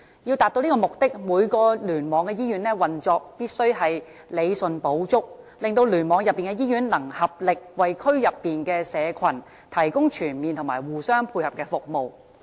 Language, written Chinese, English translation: Cantonese, 要達至此目的，每個聯網的醫院運作均需理順補足，令聯網內的醫院能合力為區內社群提供全面和互相配合的服務。, This is achieved by rationalizing operations of the hospitals within each cluster so that a comprehensive and complementary range of services can be delivered to the community